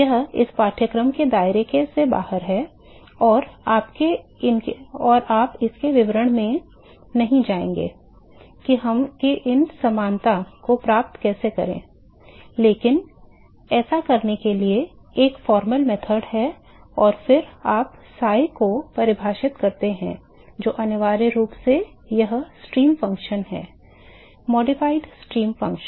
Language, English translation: Hindi, It just out of the scope of this course and you will not go into the details of how to get these similarity, but there is a formal method to do this and then you define psi which is essentially this stream function, the modified stream function